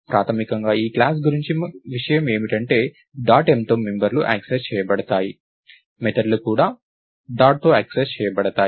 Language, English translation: Telugu, So, basically the nice thing about this class is that we have the members accessed with dot m; the methods are also accessed with dot